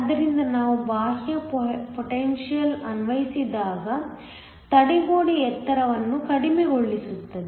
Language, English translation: Kannada, So, when we apply an external potential the barrier height is lowered